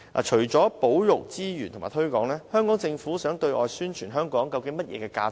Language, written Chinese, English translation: Cantonese, 除了保育資源及推廣外，香港政府想對外宣傳香港的甚麼價值？, Apart from conserving our resources and making promotions which kind of Hong Kong values does the Government intend to promote to the rest of the world?